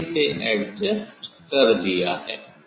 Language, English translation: Hindi, I have adjust is the